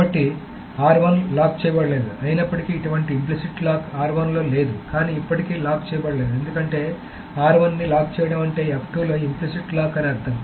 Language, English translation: Telugu, So R1 could be locked even though there is no such implicit lock on R1, but R1 still cannot be locked because locking R1 would actually mean an implicit lock on F2